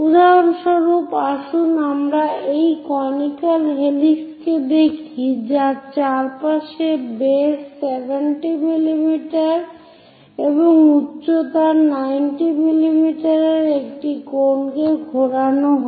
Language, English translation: Bengali, For example, let us look at a conical helix winded around a cone of base 70 mm and height 90 mm